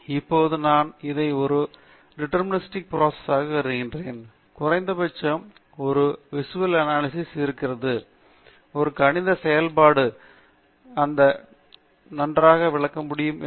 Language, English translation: Tamil, Now, I can treat this as a deterministic process if I see, at least from a visual analysis, that a mathematical function can explain this nicely